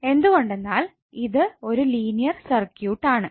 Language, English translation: Malayalam, Now what is a linear circuit